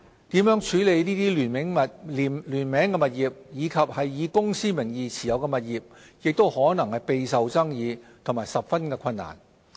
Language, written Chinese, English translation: Cantonese, 如何處理聯名物業及以公司名義持有物業亦可能備受爭議和十分困難。, The way of handling jointly - owned properties or properties held via a holding company may also be contentious and problematic